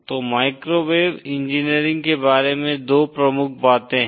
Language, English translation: Hindi, So there are 2 major features of microwave engineering